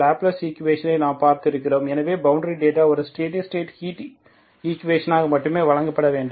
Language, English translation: Tamil, And we have seen the Laplace equation, so that is a typical elliptic equation when you see that boundary data should only be provided as a steady state heat equation